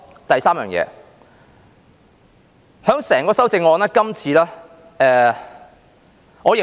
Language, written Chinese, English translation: Cantonese, 第三件事，就整項修正案而言，今次我認為......, Thirdly as far as the whole amendment is concerned this time I think About the dress code how should I put it?